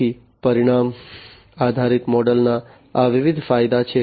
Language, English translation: Gujarati, So, these are different advantages of the outcome based model